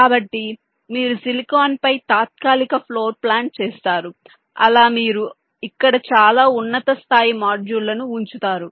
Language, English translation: Telugu, so you do a tentative floor plan on the silicon, how you will be placing the different very high level modules here